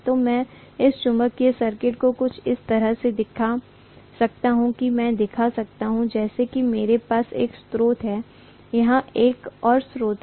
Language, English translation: Hindi, So I can show this magnetic circuit somewhat like this, I can show as though I have one source here, one more source here